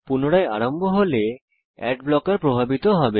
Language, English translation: Bengali, When it restarts, the ad blocker will take effect